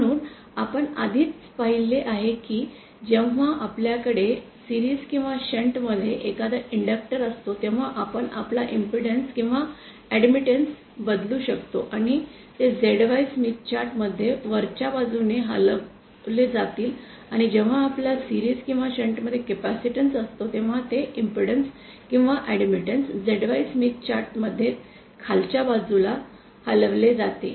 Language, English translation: Marathi, So, we already saw that when we have an inductor in series or shunt, we can shift our impedance or admittance and they will be shifted upwards in a ZY Smith chart when we have a capacitor in series or shunt, the impedance or admittance will be shifted downwards in the ZY Smith chart